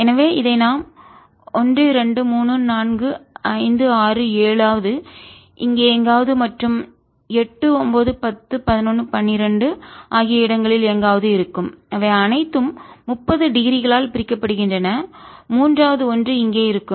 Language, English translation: Tamil, so we can make it like this: one, two, three, four, five, six, seventh will be somewhere here eight, ninth, tenth, eleventh, twelfth, they are all separated by thirty degrees